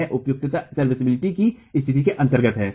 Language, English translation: Hindi, This is under serviceability conditions